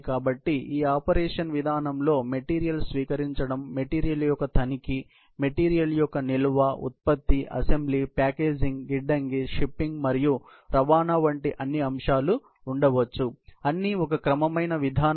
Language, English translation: Telugu, So, this system of operation may include all aspects, including receiving of the material, inspection of the material, storage of the material, production, assembly, packaging, warehousing, shipping and transportation; all as a systemic approach